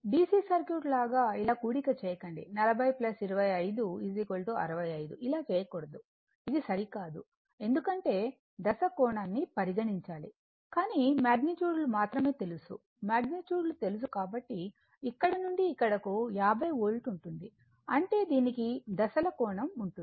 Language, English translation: Telugu, So, look if, you like a DC Circuit do not add like this right, if you get 40 plus 25 it is 65 it is not correct because, you have to consider the Phase angle right, but we do not know only magnitudes are known magnitudes are known that is why from here to here it is 50 Volt; that means, it has some phase angle we will see that and , and this Voltage across the Capacitor is 45 Volt